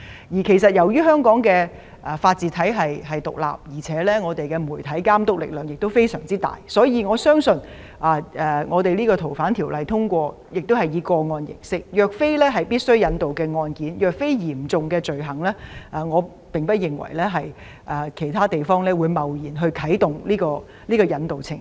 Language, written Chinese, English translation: Cantonese, 由於香港的法治體系獨立，媒體監督力量亦相當大，所以，我相信修例建議如獲得通過，這項安排便會以個案形式處理，若非一些必須引渡的案件或嚴重罪行，我不認為其他地方會貿然啟動引渡程序。, As Hong Kong has an independent system of rule of law and strong media supervision I believe that if the proposed legislative amendments are passed this arrangement will be dealt with in a case - based manner . I do not think that other places will rashly initiate the extradition process unless there are cases where extradition is essential or cases related to serious offences